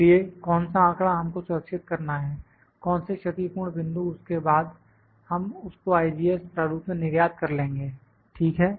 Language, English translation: Hindi, So, what data will have to store what points all the compensating points then we export it into the IGES format, ok